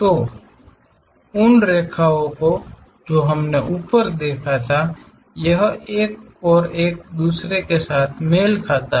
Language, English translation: Hindi, So, those lines what we have seen top, this one and this one coincides with each other